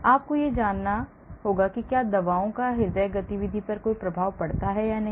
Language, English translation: Hindi, And hence you need to know whether the drugs have any effect on the cardiovascular activity